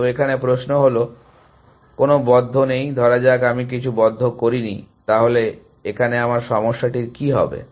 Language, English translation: Bengali, So, this question, no closed, supposing, I am did not have closed, what would happen to my problem